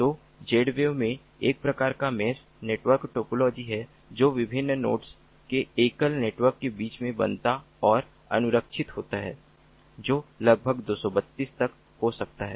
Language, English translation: Hindi, so in z wave there is some kind of a mesh network topology that is formed and maintained between different nodes, which can be up to about two, thirty two in number in a single network